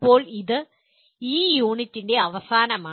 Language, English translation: Malayalam, Now that is nearly the end of this unit